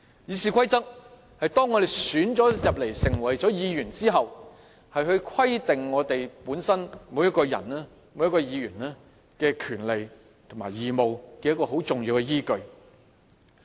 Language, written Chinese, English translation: Cantonese, 《議事規則》是當我們被選進入議會成為議員後規定我們每一個人和議員的權利和義務的重要依據。, The Rules of Procedure forms an important basis governing the rights and obligations all of us once we are elected as Members of the Legislative Council